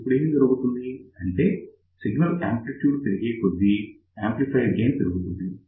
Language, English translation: Telugu, So, now, what happens as the signal amplitude keeps on increasing amplifier gain also starts reducing